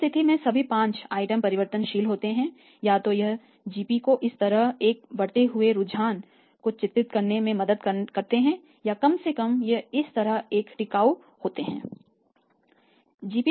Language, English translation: Hindi, So, in that case all the 5 items being variable either the GP should be depicting a rising trend like this or not raising or at least it should be having a sustain like this